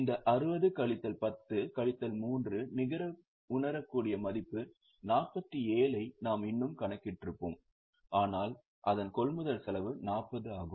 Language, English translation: Tamil, We would have still calculated this 60 minus 10 minus 3 net realizable value 47 but its purchase cost is 40